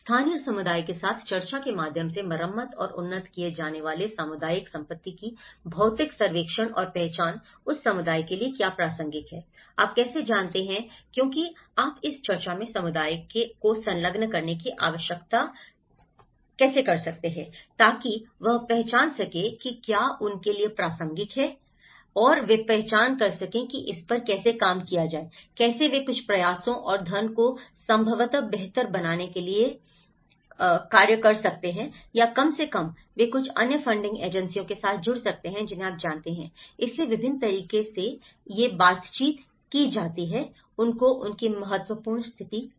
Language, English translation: Hindi, Physical survey and identification of community assets to be repaired and upgraded through discussion with local community, what is relevant to the community you know, how one can able to because you need to engage the community in this discussion, so that, they can identify what is relevant to them and they can identify how to work on it, how they can even put some efforts and funds possibly to make it better